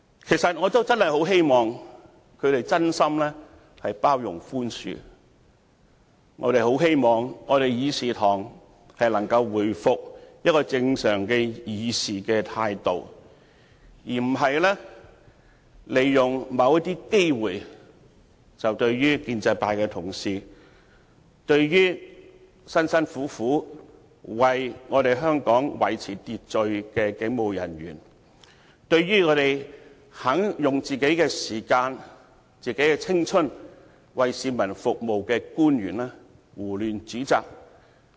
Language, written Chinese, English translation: Cantonese, 其實，我也真的很希望他們能真心包容和寬恕，很希望我們的議事堂能夠重拾正常議事的態度，而不是利用某些機會，胡亂指摘建制派同事，辛辛苦苦為香港維持秩序的警務人員，以及用個人時間和青春為市民服務的官員。, Actually I really hope that they can truly tolerate and forgive . I very much hope that our Council can regain its normal attitude on the procedures instead of making use of certain opportunities to indiscriminately accuse the pro - establishment colleagues and police officers who make painstaking efforts to maintain order of Hong Kong and officials who serve the community with their personal time and limited life